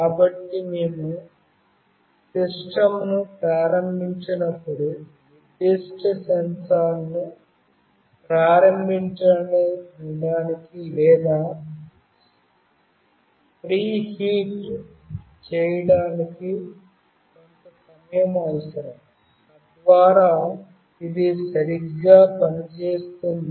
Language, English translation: Telugu, So, when we start the system, it might require some time to initiate or to preheat the particular sensor, so that it can work properly